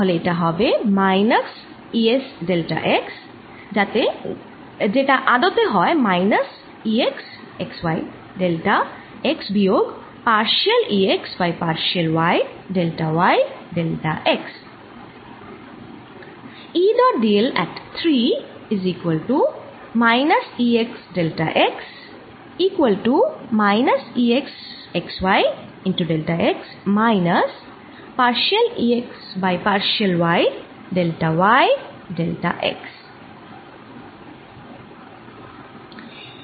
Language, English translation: Bengali, so this is going to be minus e x, delta x, which comes out to be minus e, x, x, y, delta x, minus partial e x by partial y, delta, y, delta x